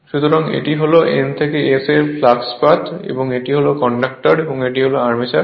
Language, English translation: Bengali, So, this is the flux path for N to S right this is conductors, and this is your armature